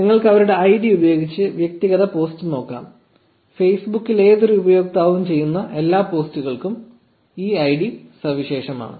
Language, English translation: Malayalam, You can also look at individual post using their id; this id is unique for every posts made by any user on Facebook